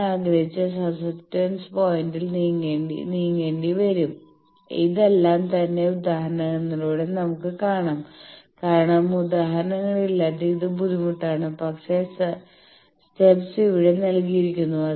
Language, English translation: Malayalam, I will have to move at the desired susceptance point all these, we will see in the examples because without examples it is difficult, but the steps are given here